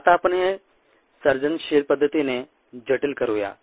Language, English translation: Marathi, now let us complicate this in a creative fashion